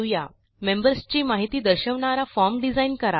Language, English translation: Marathi, Design a form to show the members information